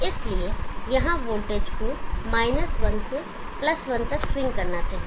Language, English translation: Hindi, Therefore, the voltage here shows to swing from 1 to +1